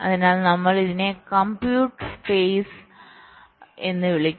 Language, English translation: Malayalam, so we call this as the compute phase